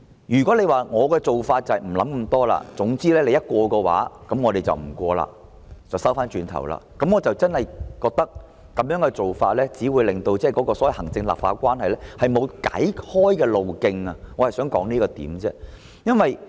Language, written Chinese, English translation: Cantonese, 如果政府決定不仔細思考，總之議員如通過修正案，政府便撤回《條例草案》，不讓其通過，我認為這種做法真的只會令行政立法關係沒有出路，我只是想指出這點。, If the Government does not give thorough consideration and simply decides to withdraw the Bill to stop its passage should any amendment be passed then I do not think the approach will provide a way out of the impasse in the executive - legislative relationship . I only wish to raise this point